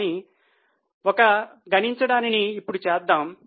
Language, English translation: Telugu, But just for one calculation let us do it now